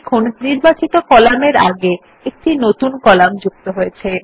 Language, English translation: Bengali, You see that a new column gets inserted before the selected cell column